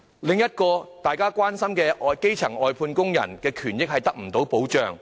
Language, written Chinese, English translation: Cantonese, 另一個大家很關心的問題，就是基層外判工人的權益得不到保障。, Another great concern we have is the lack of protection for the rights and interests of outsourced workers at the grass - roots level